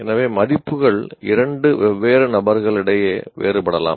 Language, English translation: Tamil, So values can also be different between two different individuals